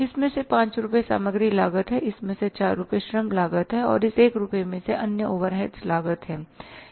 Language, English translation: Hindi, Out of this 5 rupees is the material cost, out of this 4 rupees is the labour cost and out of this is the 1 rupees is the other overheads cost